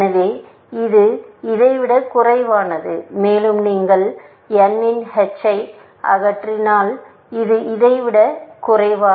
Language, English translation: Tamil, So, this is less than this, and if you remove h of n, you get this is less than this